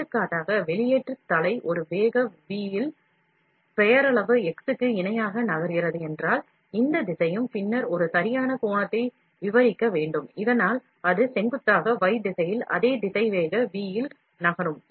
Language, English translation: Tamil, For example, if the extrusion head is moving at a velocity v, parallel to the nominal x, this direction and is then required to describe a right angle, so that it moves at a same velocity v in the perpendicular y direction